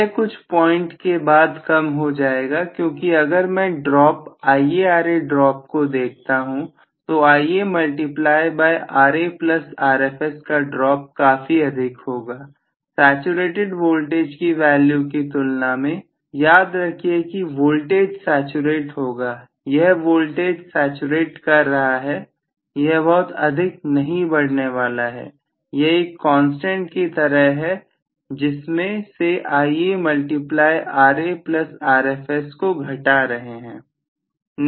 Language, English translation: Hindi, (())(25:43) It will decrease after some point because if I look at the drop IaRa drop, Ia multiplied by Ra plus Rfs drop will be quite sumptuous as compare to what I am having as the saturated value of voltage, please remember that the voltage is going to saturated, this voltage is saturating it is not going to increase much, so that is like a constant out of which I am cutting of Ia time Ra plus Rfs